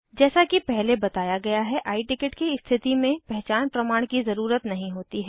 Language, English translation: Hindi, In case of I Ticket as mentioned earlier, no identity proof is required